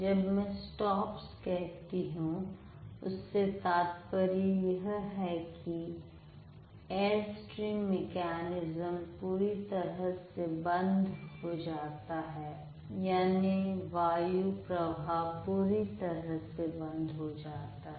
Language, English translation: Hindi, When I say stop, that means there is a complete closure of air stream mechanism, like the complete closure of the airflow